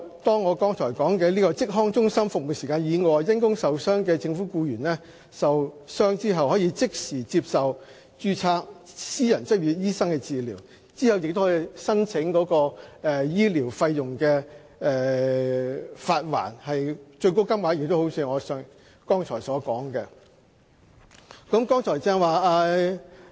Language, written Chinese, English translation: Cantonese, 在我剛才提到的職康中心的服務時間以外，因公受傷的政府僱員，可即時向註冊私人執業醫生求診，之後亦可以申請發還醫療費用，最高款額一如我剛才所述。, If government employees suffer from IOD outside the service hours of the above mentioned OHCs they may immediately consult registered private practitioners and then apply for reimbursement of medical expenses up to the maximum amount I just mentioned